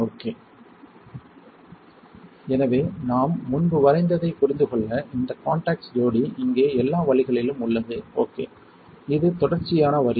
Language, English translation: Tamil, So, further to understand that is what I have drawn earlier, you see this contact pair is all the way here alright, it is continuous line